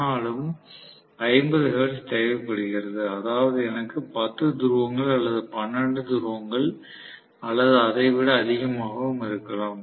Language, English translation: Tamil, Still 50 hertz is needed, which means I will have may be 10 poles or 12 poles or whatever